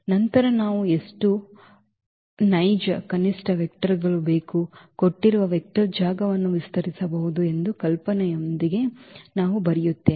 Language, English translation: Kannada, Then we will come up with the idea now that how many actual minimum vectors do we need so, that we can span the given vector space